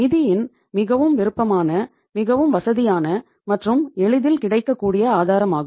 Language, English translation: Tamil, Is the most profit, most convenient, and most easily available source of the fund